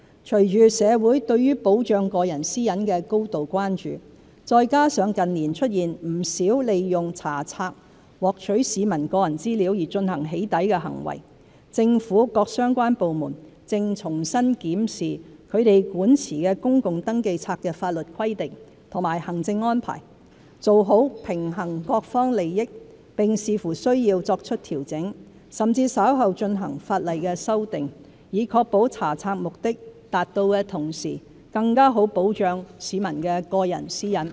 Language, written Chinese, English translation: Cantonese, 隨着社會對保障個人私隱的高度關注，再加上近年出現不少利用查冊獲取市民個人資料而進行"起底"的行為，政府各相關部門正重新檢視其管持的公共登記冊的法律規定和行政安排，做好平衡各方利益，並視乎需要作出調整，甚至稍後進行法例修訂，以確保查冊目的達到的同時，更好地保障市民的個人私隱。, Given the grave concern of the community over the protection of personal privacy and the numerous acts of doxxing performed by obtaining the personal information of members of the public through searches of registers in recent years relevant government departments are re - examining the legal requirements and administrative arrangements concerning public registers with a view to balancing the interests of various parties . Adjustments will be made as necessary and legislative amendments will be proposed later if necessary to ensure that the purposes of conducting searches can be met while better protecting the personal privacy of members of the public